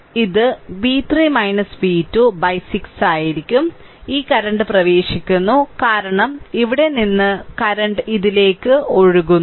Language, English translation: Malayalam, So, it will be it will be v 3 minus v 2 by 6, this current is entering because current here flowing from this to that